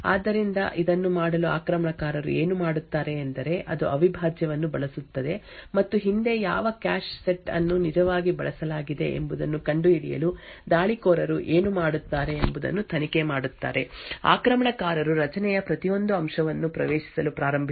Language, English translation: Kannada, So in order to do this what the attacker would do is it would use something like the prime and probe what the attacker would do in order to find out which cache set was actually used previously, the attacker would start to access every element in the array